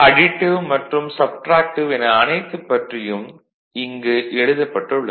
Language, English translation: Tamil, So, that is it is written additive and subtractive everything is written here